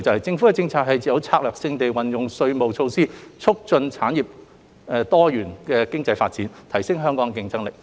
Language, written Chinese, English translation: Cantonese, 政府的政策是策略性地運用稅務措施，促進產業和多元經濟發展，提升香港的競爭力。, The Governments policy is to strategically utilize our tax measures to enhance Hong Kongs competitiveness and to promote the development of our industries and economic diversification